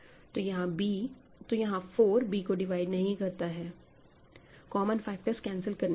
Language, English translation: Hindi, So, here I will say 4 does not divide b after you cancel common factors